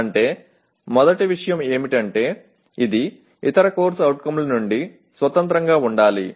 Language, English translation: Telugu, That means first thing is it should be independent of other CO